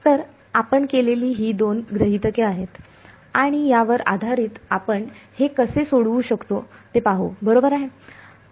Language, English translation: Marathi, So, these are the two assumptions that we will make and based on this we will see how can we solve this right